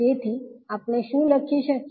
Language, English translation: Gujarati, So what we can write